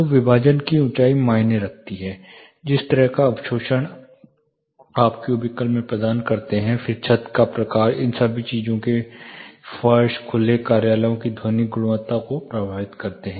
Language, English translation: Hindi, So, the height of the partition matters, the kind of observation you provide in the cubical itself matters, then the type of false ceiling, the floor all these things affect the acoustical quality of open offices